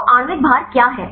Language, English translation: Hindi, So, what is the molecular weight